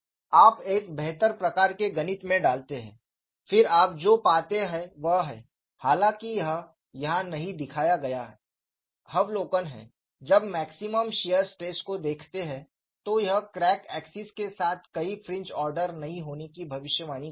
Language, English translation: Hindi, This is the only place where we had done a gross simplification;, you put in a better type of mathematics, then what you find is, though this is not shown here, the observation is, when you look at the maximum shear stress, this predicts no fringe order along the crack axis; that means, it is not useful,